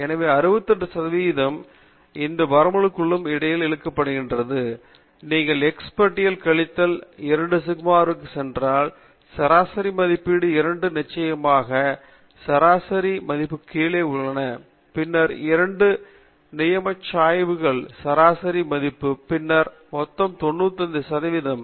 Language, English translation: Tamil, And so 68 percent of the area is tucked between these two limits, and if you go to x bar minus 2 sigma, that means a two standard deviations in the mean value are below the mean value, and then, you go two standard deviations ahead of the mean value, then you pack something like about 95 percent of the total area okay